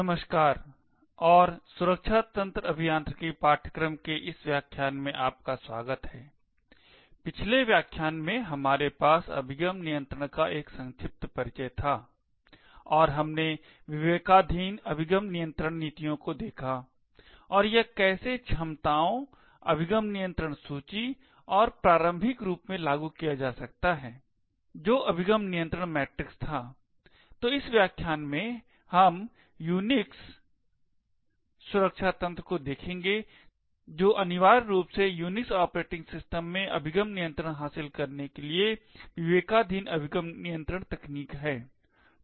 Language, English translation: Hindi, Hello and welcome to this lecture in the course for Secure System Engineering, in the previous lecture we had a brief introduction to access control and we looked at the discretionary access control policies and how it can be implemented using capabilities, access control list and the earliest form which was the access control matrix, so in this lecture we will be looking at Unix security mechanisms which essentially is discretionary access control technique to achieve access control in the Unix operating system